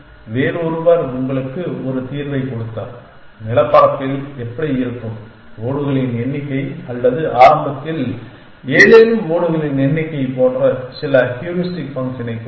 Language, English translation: Tamil, Somebody else gave you a solution how will the terrain look like given some heuristic function like the number of tiles in place or something like that initially the number of tiles out of place